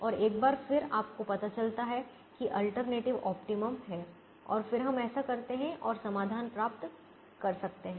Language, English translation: Hindi, and once again you realize that there is the alternative optimum and then we can do this and get the solution